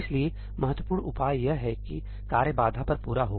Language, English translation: Hindi, So, the important takeaway is that tasks complete on barrier